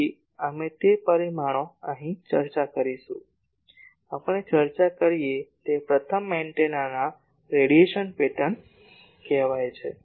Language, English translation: Gujarati, So, we will discuss those parameters here; the first one that we discuss is called radiation pattern of the antenna